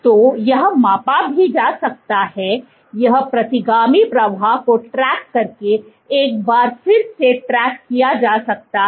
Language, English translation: Hindi, So, this can be measured, this can be tracked once again by doing by tracking the retrograde flow